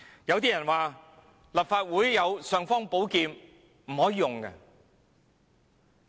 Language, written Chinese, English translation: Cantonese, 有些人說立法會雖有"尚方寶劍"，但卻不可以用。, Some people said that although the Legislative Council has the imperial sword it cannot be used